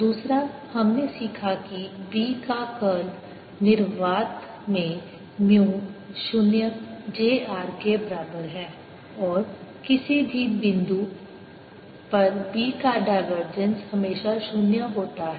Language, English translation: Hindi, second, we learnt that curl of b is equal to mu zero, j r in free space and divergence of b at any point is always zero